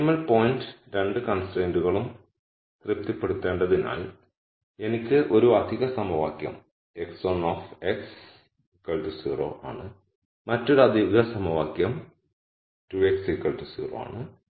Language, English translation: Malayalam, So, since the optimum point has to satisfy both the constraints, I get one extra equation x 1 x equals 0 and the other extra equation is 2 x equal to 0